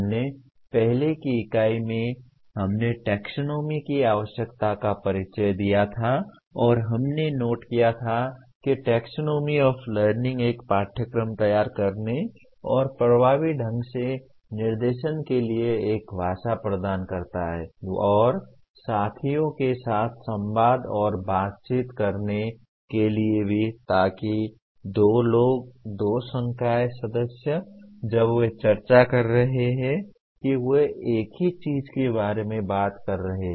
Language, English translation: Hindi, We, in the earlier unit we introduced the need for taxonomy and we noted that taxonomy of learning will provide a language for designing a course and conducting of instruction effectively and also to communicate and interact with peers so that two people, two faculty members when they are discussing they are talking about the same thing